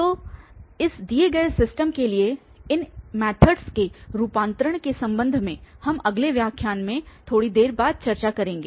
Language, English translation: Hindi, So, regarding the conversions of these methods for this given system, we will discuss a little later in the next lecture